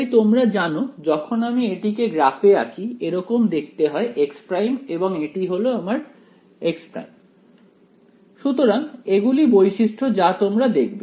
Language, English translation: Bengali, So, this was the you know when we plot it looks like something like this x prime and this is my x prime and so there are some general properties that you will observe